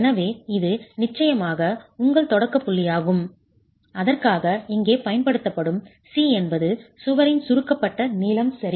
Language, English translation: Tamil, Of course for that, the notation C that is used here is the compressed length of the wall